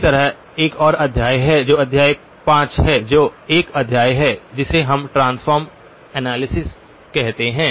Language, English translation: Hindi, Similarly, there is another chapter which is chapter 5, which is a chapter which we call as transform analysis